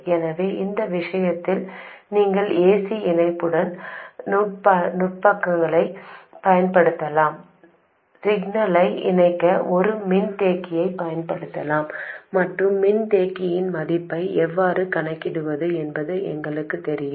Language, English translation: Tamil, So, in this case we can use AC coupling techniques, we can use a capacitor to couple the signal and we know how to calculate the value of the capacitor